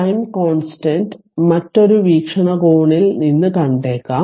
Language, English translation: Malayalam, So, the time constant may be viewed from another perspective